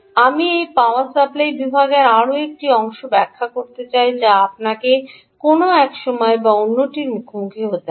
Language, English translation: Bengali, I want to ah explain one more part in this power supply section which you will have to encounter sometime or the other